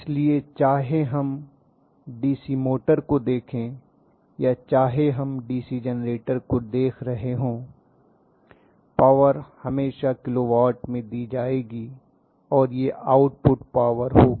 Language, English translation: Hindi, So whether we look at DC motor or whether we are looking at the DC generator always the power will be given in terms of kilo watt and the power that is given as output